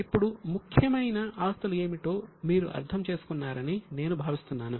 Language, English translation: Telugu, Now, I think you would have understood what are the important assets